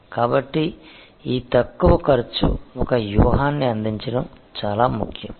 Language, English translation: Telugu, So, this low cost provide a strategy is very important